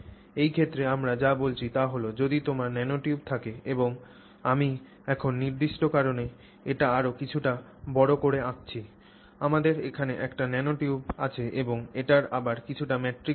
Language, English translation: Bengali, So, now in this case what we are saying is if you have the nanotube and I now draw it in a bit more enlarged way for a specific reason we have a nanotube here and again it is in some matrix it is in some matrix